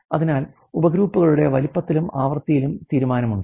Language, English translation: Malayalam, So, there is decision on size and frequency of the subgroups ok